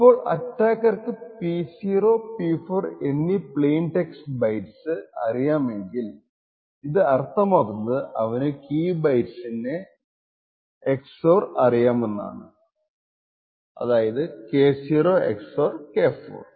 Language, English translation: Malayalam, Now if the attacker actually knows the plain text bytes P0 and P4 it would indicate that he knows the XOR of the key bits K0 XOR K4